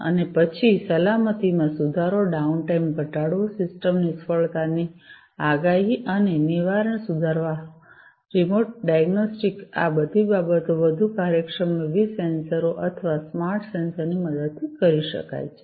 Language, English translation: Gujarati, And then improving safety, minimizing downtime, improving the prediction and prevention of system failure, remote diagnostics, all of these things can be done, in a much more efficient manner, with the help of use of these different sensors or, smart sensors